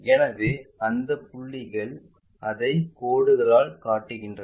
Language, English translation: Tamil, So, those points will show it by dashed lines